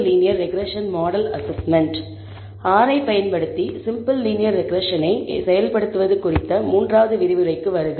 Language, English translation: Tamil, Welcome to the third lecture on implementation of simple linear regression using R